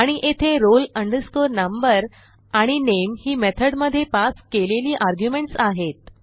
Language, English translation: Marathi, And here roll number and name are the arguments passed in the method